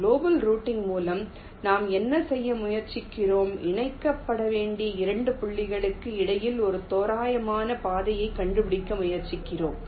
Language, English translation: Tamil, we could, in global routing, what we are trying to do, we are trying to find out an approximate path between two points that are require to be connected